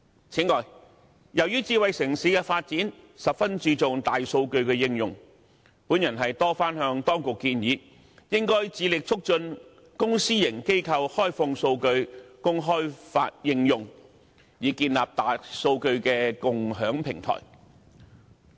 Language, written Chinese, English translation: Cantonese, 此外，由於智慧城市的發展十分注重大數據的應用，我曾多番向當局建議，應該致力促進公私營機構開放數據供開發應用，以建立大數據的共享平台。, Furthermore given the significance of the application of big data to smart city development I have repeatedly recommended that the authorities should strive to facilitate the opening of data by public and private organizations for development and application so as to set up a platform for sharing big data